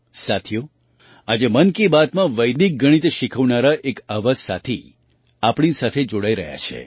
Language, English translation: Gujarati, Friends, today in 'Mann Ki Baat' a similar friend who teaches Vedic Mathematics is also joining us